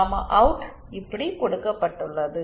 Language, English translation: Tamil, The gamma out given like this